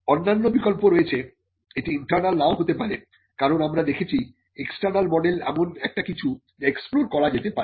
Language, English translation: Bengali, There are other options if it is not internal as we had seen the external model is something which can also be explored